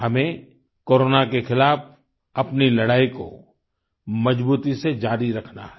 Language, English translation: Hindi, We have to firmly keep fighting against Corona